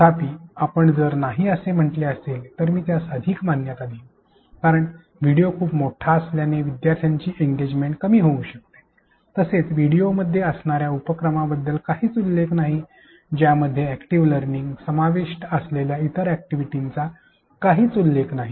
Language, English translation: Marathi, However, if you have said no I would agree more to that since the video seem too long which may disengage the learners, there is no mention about indisposed activities within the videos, there is no mention about other activities which involved active learning